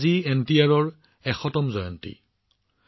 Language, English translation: Assamese, Today, is the 100th birth anniversary of NTR